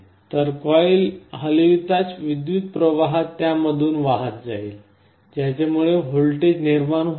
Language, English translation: Marathi, So, as the coil moves an electric current will be flowing through it, because of which a voltage will get induced